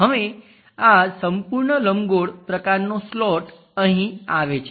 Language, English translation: Gujarati, Now this entire elliptical kind of slot comes here